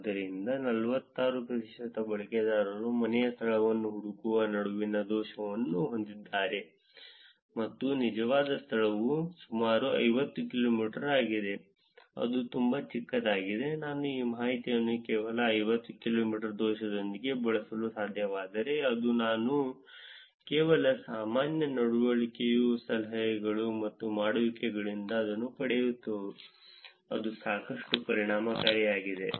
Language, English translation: Kannada, So, 46 percent of the users are actually having the error between finding the home location and the actual location is about 50 kilometers, that is pretty small, if I were able to actually use this information with only 50 kilometers of error which is I just getting it from the general behavior tips and dones, that's quite effective